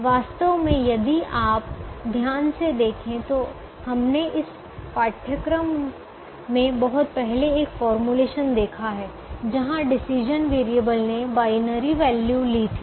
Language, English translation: Hindi, i fact, if you see carefully, we have seen a formulation very early in this course where the decision variable took the binary value